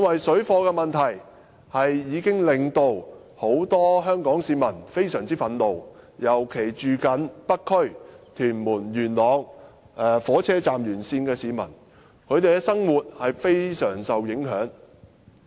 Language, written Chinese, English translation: Cantonese, 水貨問題已經令到很多香港市民非常憤怒，尤其是居住在北區、屯門或元朗港鐵站沿線的市民，他們的生活受到非常大的影響。, This problem has upset many Hong Kong people very greatly especially those who live along the MTR lines in the North District Tuen Mun or Yuen Long as their daily life is greatly affected